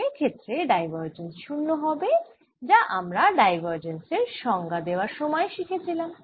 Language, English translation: Bengali, divergence must be zero, as we learnt in the case of defining diverges